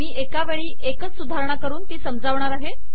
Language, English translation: Marathi, I am going to add one at a time and explain